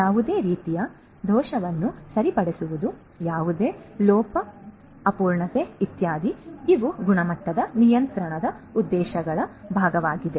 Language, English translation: Kannada, Rectifying any kind of error any omission incompleteness etcetera these are also part of the objectives of quality control